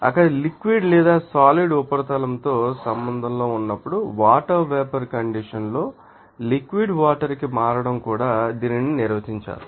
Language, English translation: Telugu, It is also be defined as the change in the state of water vapor to you know liquid water when it contact with the liquid or you know that solid surface there